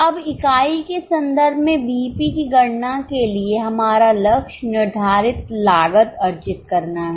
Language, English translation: Hindi, Now for calculating BEP in unit terms, our target is to earn fixed cost